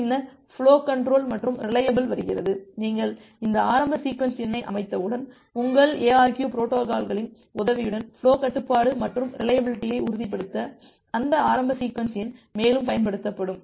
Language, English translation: Tamil, Then comes the flow control and reliability, once you have set up these initial sequence number then that initial sequence number will be used further to ensure the flow control and reliability with the help of your ARQ protocols